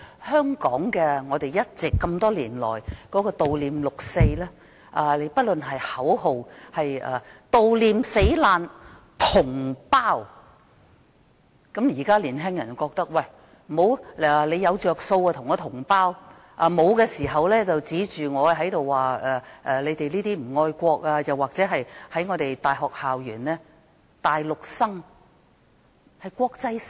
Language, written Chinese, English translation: Cantonese, 香港這麼多年來悼念六四，口號是悼念死難同胞，現在的年輕人覺得，有好處時便說大家是同胞，沒有好處時便被批評不愛國，或者在大學校園內，大陸生被視為國際生。, Hong Kong people have been commemorating the 4 June incident for many years . Regarding the slogan remembering the compatriots killed in the incident young people nowadays think that they are called compatriots when benefits are involved and if there are no benefits they will be criticized for not loving the country . In universities Mainland students are considered international students